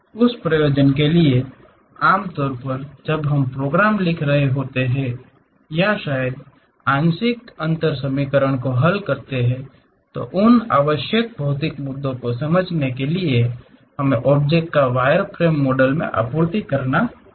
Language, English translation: Hindi, For that purpose, usually when we are writing programs or perhaps solving partial differential equations, to understand those essential physics issues we have to supply the object in a wireframe model